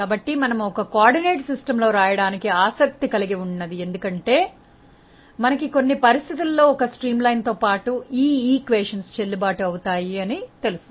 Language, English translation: Telugu, So, why we are interested to write it in a streamline coordinate system because, we know that along a streamline under certain conditions these equations are valid